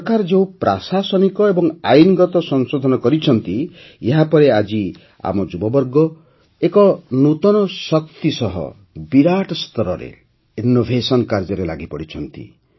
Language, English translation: Odia, After the administrative and legal reforms made by the government, today our youth are engaged in innovation on a large scale with renewed energy